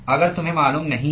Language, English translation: Hindi, If you do not know